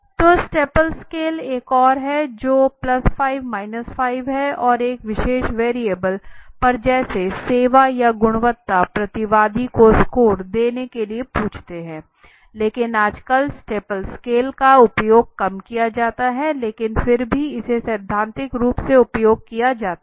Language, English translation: Hindi, So staple scale is another which has +5, 5 and on a particular variable let say service or quality the respondent is asked to give a score right so but nowadays it is very seldom used as staple scale but though still it is theoretically one of the scale is been used